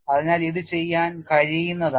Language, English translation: Malayalam, So, it is doable